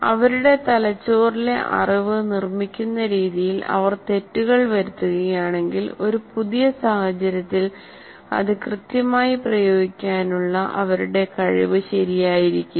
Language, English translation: Malayalam, If they make mistakes in the way they're constructing the knowledge in their brain, then what happens is their ability to apply accurately in a new situation will not be, will not be right